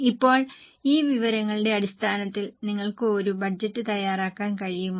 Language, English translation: Malayalam, Okay, now based on this information, are you able to prepare a budget